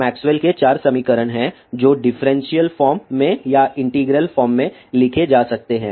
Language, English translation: Hindi, there are 4 Maxwell's equations which can be written either in differential form or in integral form